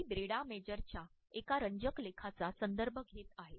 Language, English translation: Marathi, I refer to an interesting article by Brenda Major